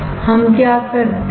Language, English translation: Hindi, What we do